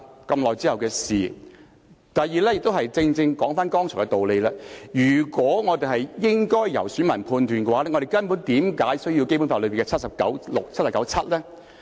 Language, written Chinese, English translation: Cantonese, 第二點是——這正正說回剛才的道理——如果我們應該留待選民判斷，那我們為何需要《基本法》第七十九條第六項及第七項呢？, Secondly if we are to leave it to the electors to judge―this was precisely the argument advanced earlier―why should we need Articles 796 and 797 of the Basic Law?